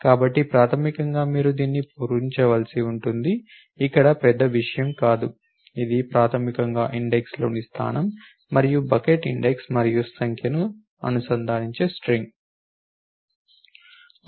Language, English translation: Telugu, So, basically this is what you have to fill up this no big deal over here this is string to which your basically concatenating the position and the bucket index and number of elements in the index